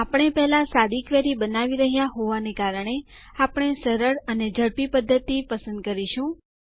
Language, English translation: Gujarati, Since we are creating a simple query first, we will choose an easy and fast method